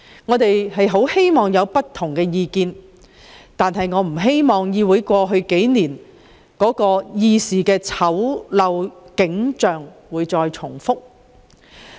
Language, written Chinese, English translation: Cantonese, 我們樂見有不同意見，但不希望過去數年在議會出現的種種醜陋議事景象重現眼前。, We welcome a wide spectrum of opinions but it is not our wish to have a repetition of all those ugly scenes that we have witnessed in this legislature over the past few years